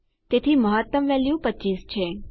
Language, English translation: Gujarati, So the maximum value is 25